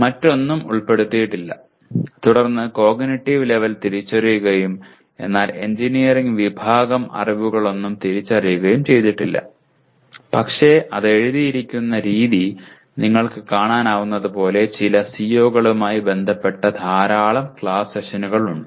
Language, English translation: Malayalam, Nothing else is included and then cognitive level is identified and none of the engineering category knowledge are identified but as you can see the way it is written you have large number of class sessions associated with some of the COs